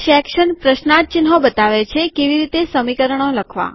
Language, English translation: Gujarati, Section, question marks shows how to write equations